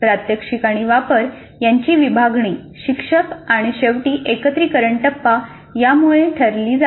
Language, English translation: Marathi, So this division of demonstration application is decided by the instructor and finally integration phase